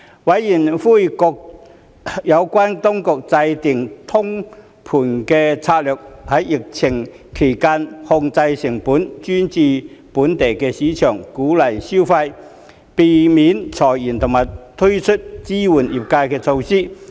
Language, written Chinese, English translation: Cantonese, 委員籲請各有關當局制訂通盤策略，在疫情期間控制成本、專注本地市場、鼓勵消費、避免裁員及推出支援業界的措施。, Members called on the relevant authorities to formulate a comprehensive strategy to contain costs focus on the domestic market boost consumption prevent layoffs and implement measures to support the industries during the pandemic